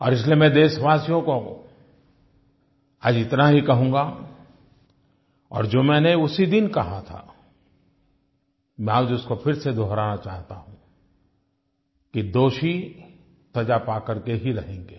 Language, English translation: Hindi, And, therefore, I will just reiterate to you, my countrymen, what I had said that very day, that the guilty will certainly be punished